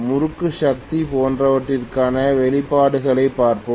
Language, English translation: Tamil, Then we will be looking at expressions for torque, power, etc